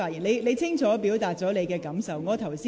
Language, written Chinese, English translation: Cantonese, 你已清楚表達你的感受。, You have clearly expressed how you felt